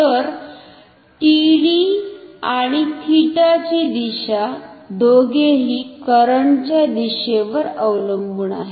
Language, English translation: Marathi, So, the direction of TD and theta do not depend on the direction of the current